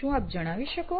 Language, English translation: Gujarati, Can you explain